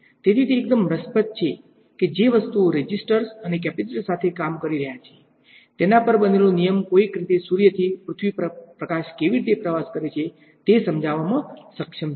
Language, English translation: Gujarati, So, its quite interesting that things that are working with the resistors and capacitors, a law that is built on that somehow is able to explain how light travels from the sun to earth